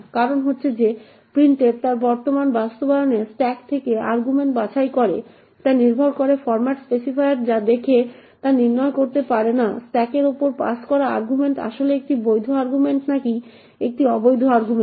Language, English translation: Bengali, The reason being is that printf in its current implementation just picks out arguments from the stack depending on what it sees in the format specifiers it cannot detect whether the arguments passed on the stack is indeed a valid argument or an invalid argument